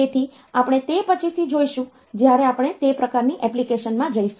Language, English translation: Gujarati, So, we will see that later when we go into that type of application